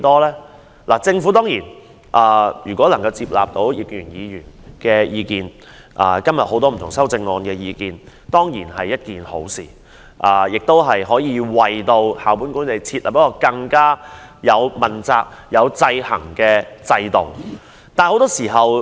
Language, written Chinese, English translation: Cantonese, 如果政府能夠接納葉建源議員的原議案及議員修正案的意見，當然是好事，可為校本管理設立一套更具問責及制衡效果的制度。, If the Government accepts the suggestions put forward in Mr IP Kin - yuens original motion and other Members amendments it is of course a good thing as it will establish a stronger accountable system with the effect of checking and balancing the school - based management system